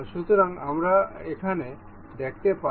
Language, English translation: Bengali, So, we can see here